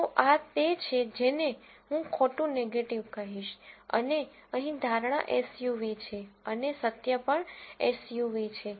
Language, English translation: Gujarati, So, this is what I would call as false negative and here the prediction is SUV and the truth is also SUV